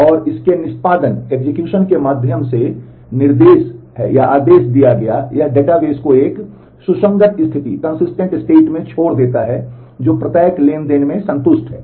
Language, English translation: Hindi, And through the execution of it is instructions in the order given it leaves the database in a consistent state, that is satisfied in each and every transaction